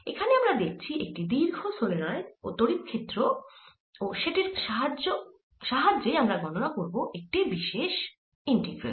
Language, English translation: Bengali, so we are looking at the field of a long solenoid and use that to calculate a particular integral